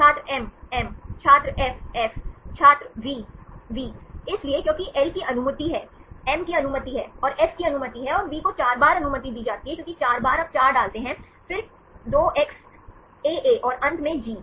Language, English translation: Hindi, So, because L is allowed, M is allowed and F is allowed and V is allowed 4 times because 4 times you put 4, then 2x, AA and finally, G